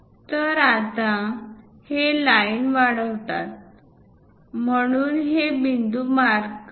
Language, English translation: Marathi, Now, this one just extend these lines, so mark these points